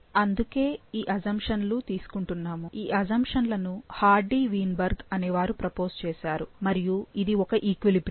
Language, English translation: Telugu, So, these assumptions, taking, if you take these assumptions, this was proposed by Hardy Weinberg and this is the equilibrium